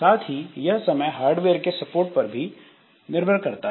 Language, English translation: Hindi, Then there are time dependent on hardware support